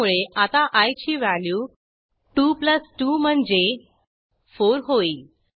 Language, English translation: Marathi, So now value of i will be 2+2 i.e 4